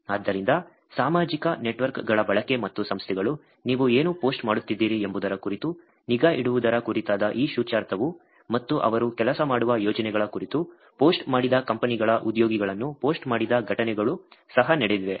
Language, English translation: Kannada, So, therefore, this implication which is about usage of social networks itself and organizations keeping track about what you are posting and there have been incidences also where people are posted employee of companies posted about projects they working on